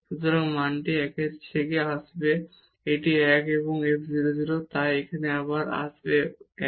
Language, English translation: Bengali, So, the value will be coming from this 1 so, this is 1 and f 0 0 so, again this is 1 here